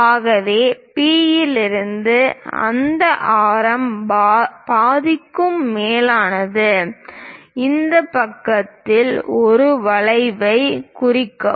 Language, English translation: Tamil, So, from P greater than half of that radius; mark an arc on this side